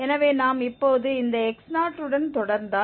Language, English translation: Tamil, Using this x1 here now we will get x2